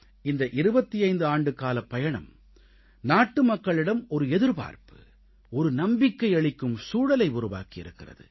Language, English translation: Tamil, In its journey of 25 years, it has created an atmosphere of hope and confidence in the countrymen